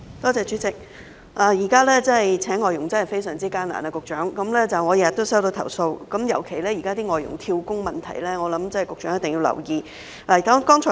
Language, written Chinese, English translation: Cantonese, 局長，現時聘請外傭真的非常艱難，我每天也收到投訴，尤其是關於外傭"跳工"問題，我想這是局長一定要留意的。, Secretary hiring FDHs is really very difficult now . I receive complaints day after day especially on the problem of job - hopping of FDHs . I think this warrants the attention of the Secretary